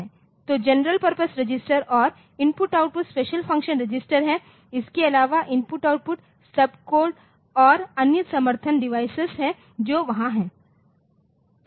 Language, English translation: Hindi, So, general functions registers and I/O special function registers so, plus there are I/O sub codes and other support devices that are there